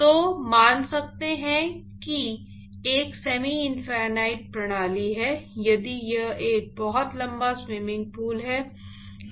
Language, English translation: Hindi, So, one could assume that to be a semi infinite system if it is a very, very long swimming pool